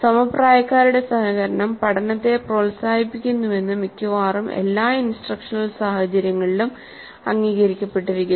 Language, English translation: Malayalam, This has been recognized in almost all the instructional situations that peer collaboration promotes learning